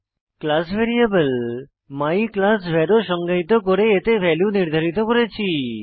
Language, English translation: Bengali, I have also defined a class variable myclassvar And I have assigned a value to it